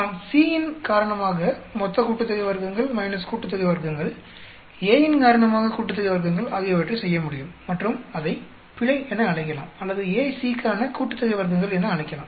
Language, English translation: Tamil, We can do total sum of squares minus sum of squares due to C, sum of squares due to A and either call it as a error or we can call it as a sum of squares for the AC